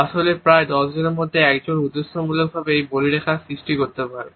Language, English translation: Bengali, Actually only 1 in about 10 people can cause these wrinkles on purpose